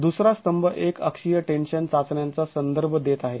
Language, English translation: Marathi, The second column is referring to uniaxial tension tests